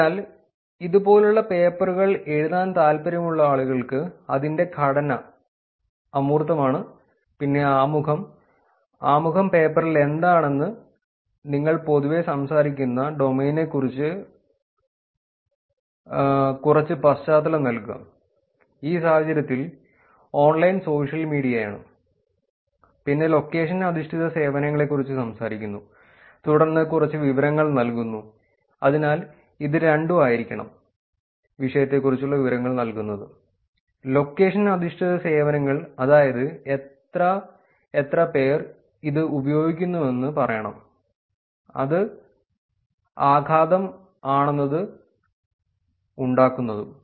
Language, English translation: Malayalam, So for people who are curious about writing papers like this, the structure it is – abstract, then there is introduction, introduction you generally talk about what the problem of attack in the paper is, give some background about the domain in this case it is online social media then talking about location based services, then giving some information about, so it has to be both, giving information about the topic location based services, give more of quantitative numbers also saying how many people are using it, what level of impact is it making and things like that